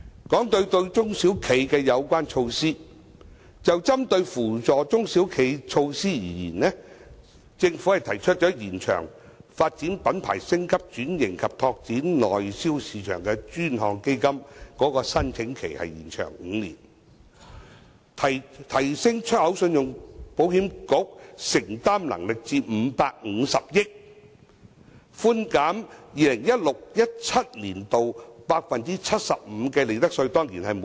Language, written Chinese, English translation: Cantonese, 談到對中小企的有關措施，就針對扶助中小企的措施而言，政府提出延長"發展品牌、升級轉型及拓展內銷市場的專項基金"的申請期5年、提升出口信用保險局的承擔能力至550億元、寬減 2016-2017 年度 75% 利得稅。, I now move to the measures related to SMEs . In respect of the measures aiming at helping SMEs the Government has proposed to extend the application period for the Dedicated Fund on Branding Upgrading and Domestic Sales for five years strengthen the underwriting capacity of the Hong Kong Export Credit Insurance Corporation to 55 billion and reduce profits tax for 2016 - 2017 by 75 %